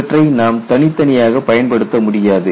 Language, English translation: Tamil, You cannot apply them individually